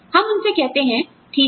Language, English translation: Hindi, We tell them, okay